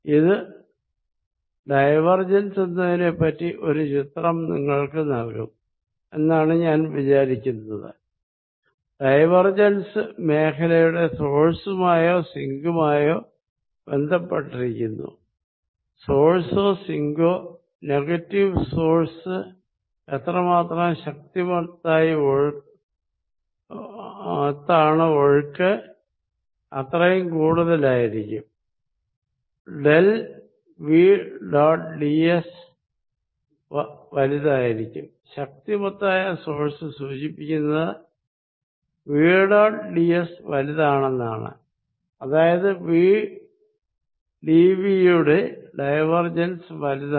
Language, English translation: Malayalam, So, divergent of any point is 0, so I hope this gives you a picture of what divergence is and divergence immediately you can see is related to source or sink of the field and stronger the source which also includes a sink, which is negative source, stronger to the source more the flow, stronger the source del v dot d s will be larger, stronger the source implies v dot d s larger and this implies divergence of v d v is larger